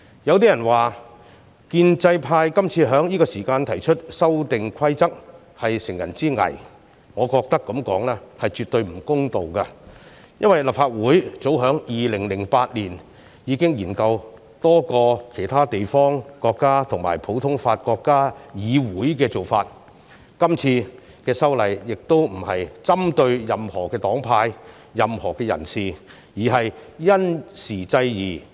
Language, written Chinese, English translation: Cantonese, 有人說建制派今次在這個時間提出修訂規則是乘人之危，我認為這樣說絕對不公道，因為立法會早在2008年已經研究多個其他地方、國家和普通法國家的議會做法，今次修例亦並非針對任何黨派、任何人士，而是因時制宜。, Some people say that the pro - establishment camp has taken advantage of the difficulties faced by the opposition camp by proposing the amendments but I consider such remark unfair . It is because since 2008 the Legislative Council had been studying the practice of legislatures in many places countries and common law jurisdictions . The amendments this time around are not targeting at any political groups or individual